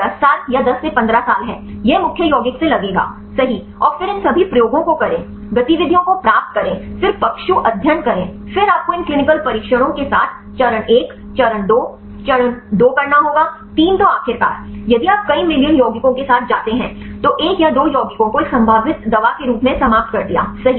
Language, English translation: Hindi, It is almost about 10 years or 10 to 15 years it will take right from the lead compound and then do all these experiments, get the activities then the animal studies then you have to do with these clinical trials right phase one, phase two, phase three then finally, if you go with the several million compounds ended up one or two compounds right as a potential drug